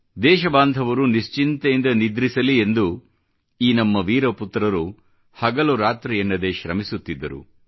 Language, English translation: Kannada, In order to ensure that their fellow countrymen could sleep peacefully, these brave sons toiled relentlessly, day or night